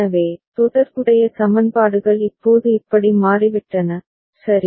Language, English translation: Tamil, So, corresponding equations have now become like this, all right